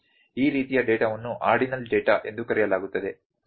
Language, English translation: Kannada, This kind of data is known as ordinal data, ok